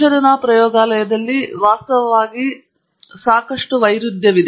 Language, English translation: Kannada, In a research lab setting, actually, quite the opposite is true